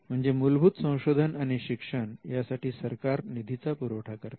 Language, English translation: Marathi, So, the funding fundamental research and education is something that is done by the government